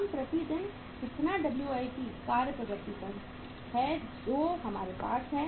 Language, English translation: Hindi, How much per day how much WIP work in process we uh are having with us